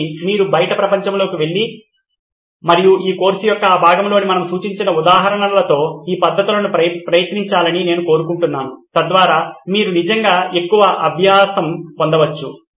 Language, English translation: Telugu, So, I would like you to go out in the world and try these methods with the examples that we have suggested in this part of this course so that you can actually get more practice